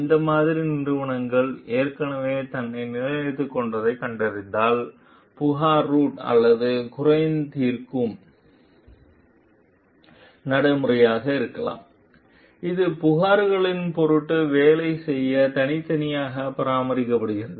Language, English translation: Tamil, So, this like whether when we find that the company has already established itself, we may have a complaint root or a grievance redressal procedure which is a separately maintained to work on the complaints for sake